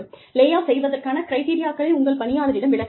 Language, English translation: Tamil, You need to explain, the criteria for layoffs, to your employees